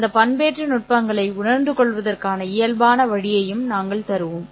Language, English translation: Tamil, We will also give the physical way of realizing those modulation techniques